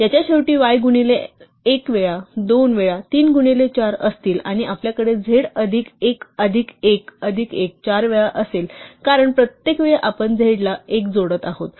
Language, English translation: Marathi, The end of this will have y times 1 times, 2 times, 3 times 4, and we will have z plus 1 plus 1 plus 1 plus 1 four times because each time we are adding 1 to z